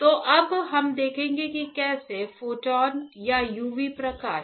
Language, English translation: Hindi, So, now we will see how the photons or the UV light